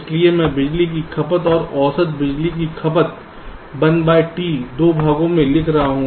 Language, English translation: Hindi, so i am showing the power consumption average power consumption one by two, in two parts